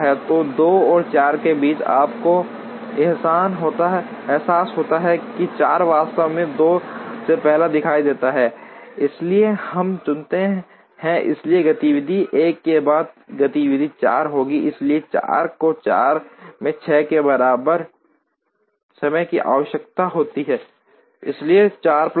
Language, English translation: Hindi, So, between 2 and 4 you realize that 4 actually appears earlier than 2, so we choose, so activity 1 followed by activity 4, so 4 goes 4 requires time equal to 6, so 4 plus 6